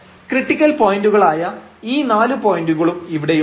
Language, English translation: Malayalam, So, all these 4 points are there which are the critical points